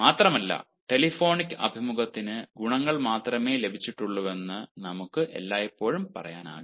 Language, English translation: Malayalam, moreover, we cannot always say that telephonic interview only has got advantages